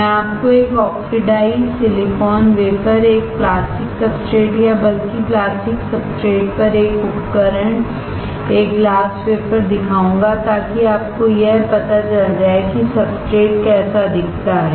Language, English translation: Hindi, I will show it to you an oxidized silicon wafer, a plastic substrate or rather a device on plastic substrate, a glass wafer, so that you will have an idea of how the substrate looks like